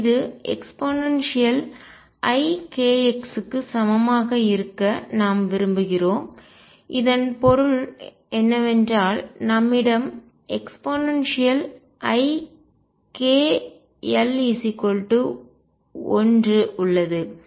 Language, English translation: Tamil, And this we want to be equal to e raise to i k x, and what this means is that we have e raise to i k L equals 1